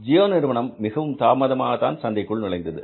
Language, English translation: Tamil, Gio came very late in the market, they entered in the market very late